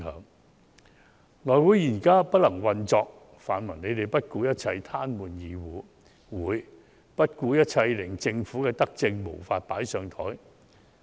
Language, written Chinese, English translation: Cantonese, 內務委員會現在不能運作，泛民不顧一切癱瘓議會、不顧一切令政府的德政無法"放上檯"。, Now the House Committee has become unable to operate and the pan - democratic camp tries to paralyse the legislature at all costs and to prevent the Government from tabling this benevolent measure at all costs